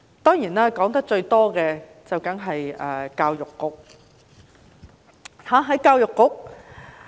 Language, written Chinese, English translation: Cantonese, 當然，我說得最多的便是教育局。, Certainly the Education Bureau is a topic I talk about most